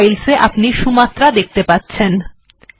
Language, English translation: Bengali, In program files, we look at Sumatra